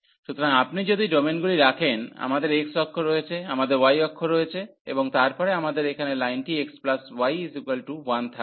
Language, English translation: Bengali, So, if you put the domains, so we have x axis, we have y axis and then we have the line here x plus y is equal to 1